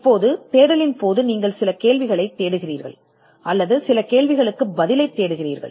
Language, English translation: Tamil, Now, during the search, you are looking for certain questions, or you are looking for answers to certain questions